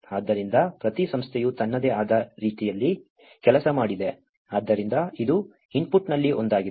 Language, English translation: Kannada, So, each agency has worked in their own way, so this is one of the input